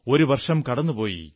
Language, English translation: Malayalam, An entire year has gone by